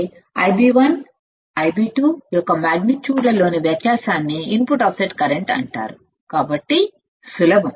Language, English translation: Telugu, So, what is it input offset current the difference in magnitudes of I b 1 and I b 2 is called input offset current; so, easy right